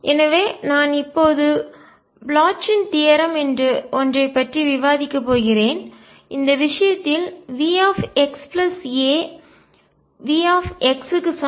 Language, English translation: Tamil, So, I am going to now discuss something called Bloch’s theorem in which case V x plus a is the same as V x